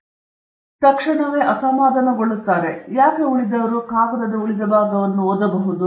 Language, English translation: Kannada, If I give it right away on top, then why will anyone read the rest of the paper